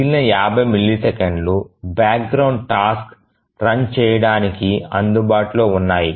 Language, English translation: Telugu, So, the rest of the 50 millisecond is available for the background task to run